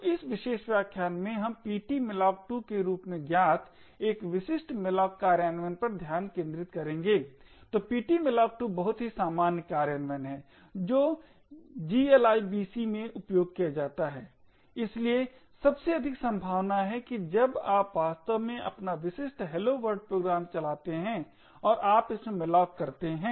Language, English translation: Hindi, So in this particular lecture we will focus on one specific malloc implementation known as ptmalloc2, so ptmalloc2 is very common implementation which is used in glibc, so most likely when you actually run your typical hello world program and you have malloc in it